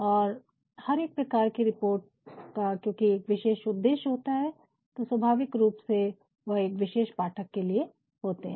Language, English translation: Hindi, And for every report, because it will have a specific purpose naturally it should have a specific audience as well